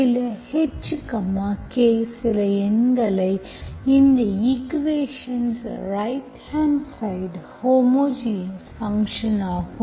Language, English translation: Tamil, you want to some H, K some numbers so that the right hand side of this equation is homogeneous function